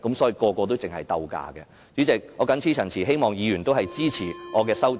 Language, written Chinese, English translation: Cantonese, 主席，我謹此陳辭，希望議員支持我的修正案。, With these remarks President I hope Members will support my amendment